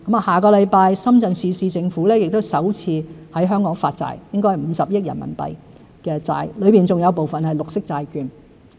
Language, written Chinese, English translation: Cantonese, 下星期，深圳市政府亦會首次在香港發債，應該是50億元人民幣的債券，當中有部分是綠色債券。, Next week the Shenzhen Municipal Government will issue bonds in Hong Kong for the first time amounting to RMB5 billion I suppose and some of them are green bonds